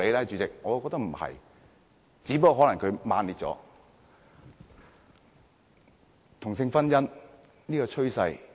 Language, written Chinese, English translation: Cantonese, 主席，我覺得不是，只不過可能用詞比較強烈。, Chairman I do not think so only that the expressions used by them are relatively strong